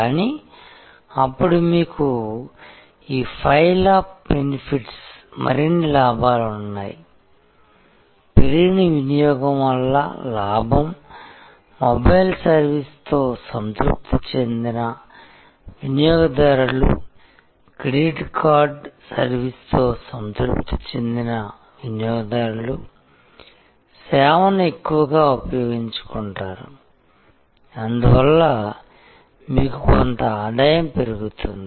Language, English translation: Telugu, But, then you have this pile up benefits, pile up benefits are profit from increased usage, a satisfied customer with the mobile service, a satisfied customer with a credit card service tend to use the service more and therefore, you have some incremental revenue